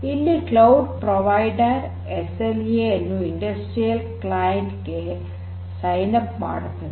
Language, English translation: Kannada, So, this cloud provider is going to sign up an SLA with the industrial client; with the industrial client